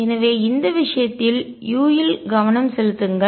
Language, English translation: Tamil, So, focuses on u in this case